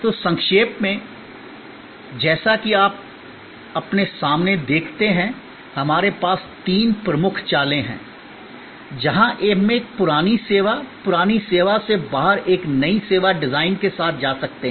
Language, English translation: Hindi, So, in short as you see in front of you, we have three major moves, where we can go with a new service design out of an old service, outdated service